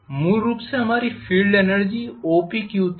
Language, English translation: Hindi, Originally our field energy was OPQ